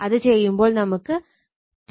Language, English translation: Malayalam, It will become 297